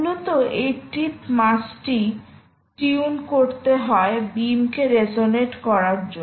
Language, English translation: Bengali, basically it is to tune the beam to resonance